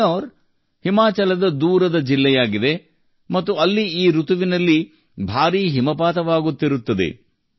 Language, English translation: Kannada, Kinnaur is a remote district of Himachal and there is heavy snowfall in this season